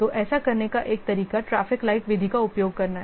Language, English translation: Hindi, So, one way of doing this is by using a traffic like method